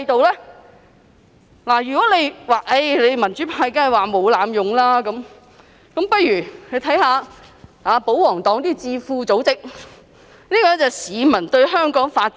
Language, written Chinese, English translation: Cantonese, 有人會指我們民主派一定會說沒有濫用，那大家不如看看保皇黨的一些智庫組織的調查結果。, Some may say that we the pro - democracy camp will definitely deny any such abuse so why dont we look at the results of the surveys conducted by some royalist think tanks?